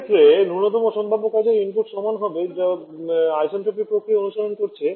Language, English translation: Bengali, In this case will be equal to the minimum possible work input required which is calling the isentropic process